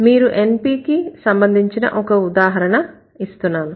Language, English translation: Telugu, Let me give you an example of an NP